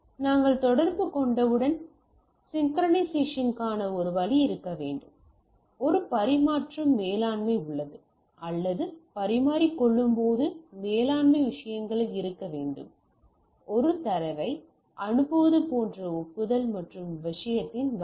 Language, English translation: Tamil, Once we communicate there should be a way of synchronisation there is a exchange management or there should be when we exchange the thing there should be a in management things like I send a data I get acknowledgement and type of thing